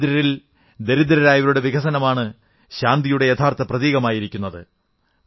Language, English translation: Malayalam, Development of the poorest of the poor is the real indicator of peace